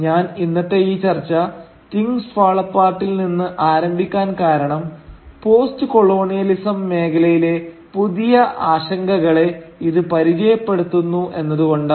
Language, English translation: Malayalam, Now the reason I started today’s discussion with Things Fall Apart is because it introduces us to a new set of concerns within the field of postcolonialism